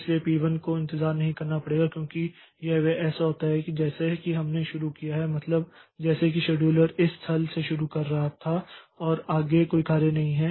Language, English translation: Hindi, So, P1 does not have to wait for because as soon as it so it is like so we have started the as if the scheduler was starting from this point only and there was no further job so P1's waiting time is zero